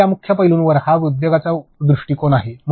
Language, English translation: Marathi, So, this is an industry perspective on these key aspects